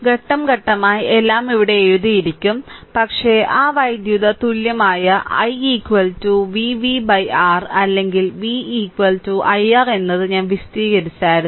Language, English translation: Malayalam, Just we will go through step by step everything is written here, but I explain that how that electrical equivalent that i is equal to v v upon R or v is equal to i R